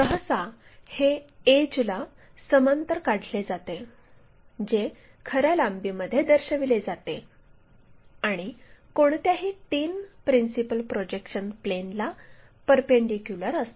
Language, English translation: Marathi, Usually, these are constructed parallel to the edge which is to be shown in true length and perpendicular to any of the three principle projection planes